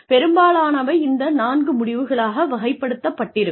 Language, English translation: Tamil, They can be categorized into, most of these in to, these four outcomes